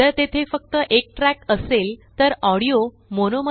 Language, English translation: Marathi, If there is only one track, then the audio is in MONO